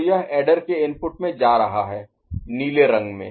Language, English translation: Hindi, So, this is going as adder input in the blue right